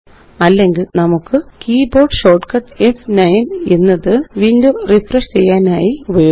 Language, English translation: Malayalam, Or we can use the keyboard shortcut F9 to refresh the window